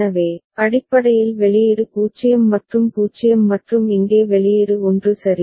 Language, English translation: Tamil, So, basically the output is 0 and 0 and here the output is 1 ok